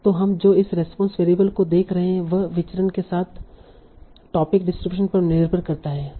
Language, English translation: Hindi, So what we are seeing this response variable depends on the topic distributions with the variance